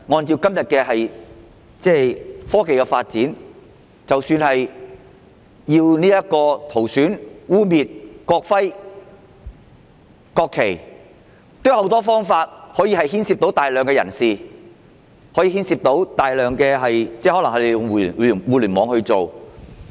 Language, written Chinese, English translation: Cantonese, 以今天的科技發展，即使是塗損或污衊國徽和國旗，亦可以牽涉大量人士，因為他們也可能利用互聯網行事。, Given the technological development nowadays even damaging or defiling the national emblem or national flag may involve large crowds because it may be done with the use of the Internet too